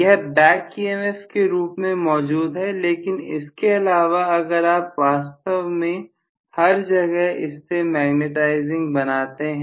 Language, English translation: Hindi, (())(21:10) It is existing in the form of back emf but apart from that if you really make everywhere magnetizing is it possible really